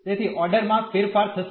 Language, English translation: Gujarati, So, the order will be change